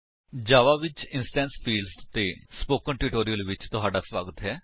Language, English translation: Punjabi, Welcome to the Spoken Tutorial on Instance fields in Java